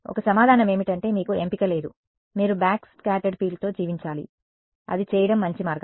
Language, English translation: Telugu, So, one answer is that you have no choice, you have to live with backscattered field; is that a better way of doing it